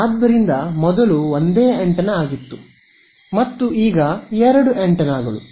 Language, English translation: Kannada, So, this was a single antenna and this is both antennas